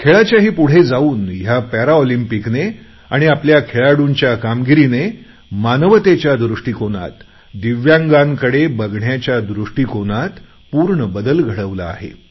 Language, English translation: Marathi, Perhaps going beyond sporting achievements, these Paralympics and the performance by our athletes have transformed our attitude towards humanity, towards speciallyabled, DIVYANG people